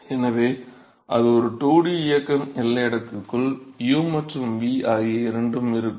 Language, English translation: Tamil, So, it is a 2 dimensional motion you will have both u and v inside the boundary layer